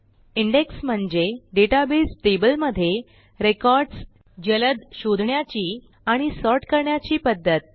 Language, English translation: Marathi, An Index is a way to find and sort records within a database table faster